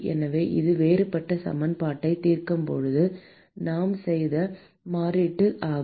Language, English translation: Tamil, So, that is the substitution that we made when we solved the differential equation